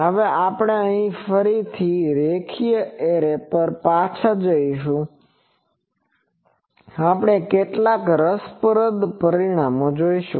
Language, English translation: Gujarati, Now, we will again go back to the linear array, and we will see some interesting results